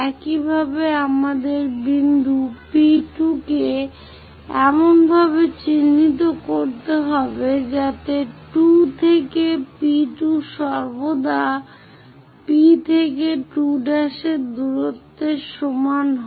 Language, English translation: Bengali, Similarly, we have to locate point P2 in such a way that 2 to P2 distance always be equal to P to 2 prime distance